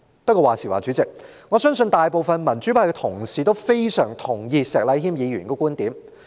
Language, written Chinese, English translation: Cantonese, 不過，話說回來，主席，我相信大部分民主派同事均非常同意石禮謙議員的觀點。, Yet coming back to the subject Chairman I believe the majority of Honourable colleagues from the pro - democracy camp all very much concur with Mr Abraham SHEKs viewpoint